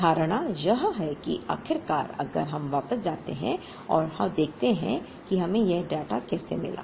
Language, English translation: Hindi, The assumption is that after all if we go back and see how we got this data